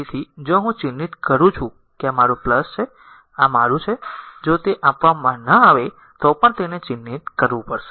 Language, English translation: Gujarati, So, if I mark this is my plus, and this is my this even even if it is not given you have to mark it, right